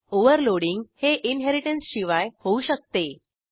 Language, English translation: Marathi, Overloading can occurs without inheritance